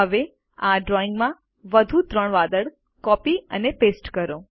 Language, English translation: Gujarati, Now, lets copy and paste three more clouds to this picture